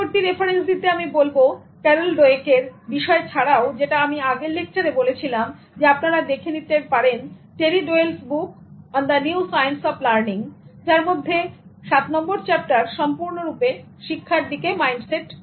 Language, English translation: Bengali, For further reference, apart from the materials from Carol Dweck that I mentioned in the previous one, you can also take a look at Terry Doyle's book on the new science of learning in which the chapter 7 is completely about mindsets toward learning